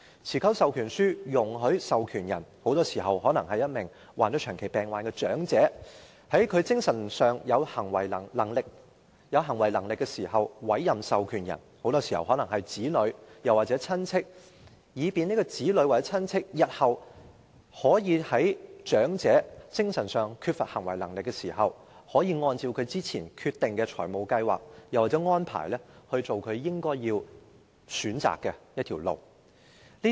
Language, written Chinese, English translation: Cantonese, 持久授權書容許授權人——很多時候是患上長期病患的長者——在他精神上仍有行為能力時，委任某人為獲授權人——很多時候是其子女或親戚——以便獲授權人日後在該名長者在精神上缺乏行為能力時，可以按照他之前決定的財務計劃或安排，為他選擇應走的路。, An enduring power of attorney allows a donor―very often an elderly person with chronic illnesses―to appoint someone as an attorney―very often his child or relative―when he still has the mental capacity so that when the elderly person becomes mentally incapacitated in future the attorney can choose for him the path he should take in accordance with the financial plans or arrangements he has decided beforehand